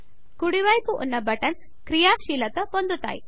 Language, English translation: Telugu, The buttons on the right side are now enabled